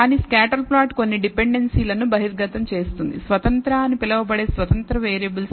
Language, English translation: Telugu, But a scatter plot may reveal some dependencies, inter dependencies, between the independent so called independent variables